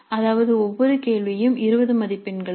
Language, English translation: Tamil, That means each question is for 20 marks